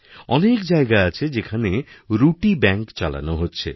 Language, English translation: Bengali, There are many places where 'Roti Banks' are operating